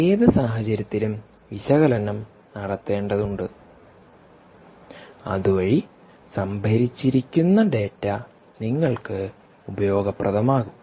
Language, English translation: Malayalam, in any case, there will have to be analytic so that the data that is stored is made useful